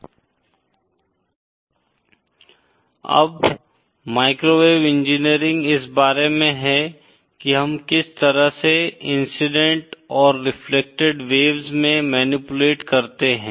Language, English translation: Hindi, Now, microwave engineering is all about how we manipulate the incident and reflected waves